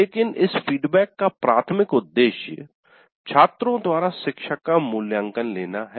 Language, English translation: Hindi, But the primary purpose of this feedback is faculty evaluation by the students